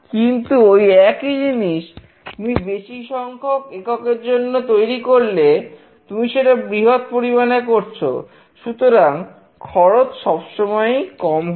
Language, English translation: Bengali, But, if the same kind of product is designed for a large number of units, you are producing it in a bulk, then the cost always reduces